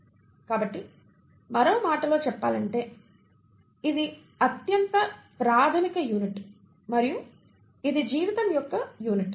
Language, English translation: Telugu, Ó So in other words it is the most fundamental unit and it is the unit of life